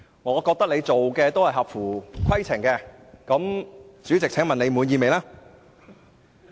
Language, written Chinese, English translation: Cantonese, 我認為你的行事均合乎規程，請問你滿意嗎？, I think your act is in compliance with RoP . May I ask if you are satisfied?